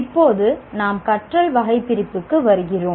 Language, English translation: Tamil, Now, that is where we come, taxonomy of learning